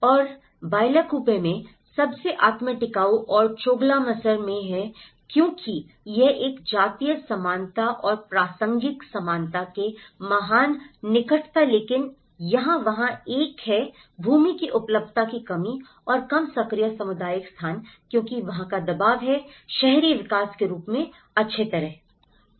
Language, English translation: Hindi, And in Bylakuppe, is the most self sustainable and as well as Choglamsar because it has a great close proximity to the ethnic similarity and the contextual similarity but here, there is a lack of land availability and the less active community spaces because there is a pressure of the urban development as well